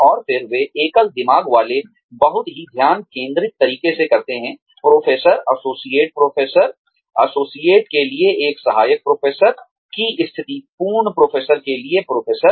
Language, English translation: Hindi, And then, they single mindedly, in a very focused manner, move from, say, the position of an assistant professor to associate professor, associate professor to full professor